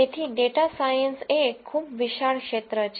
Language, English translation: Gujarati, So, a data science is a very vast field